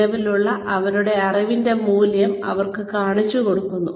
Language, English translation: Malayalam, We show them, the value of the existing knowledge, that they have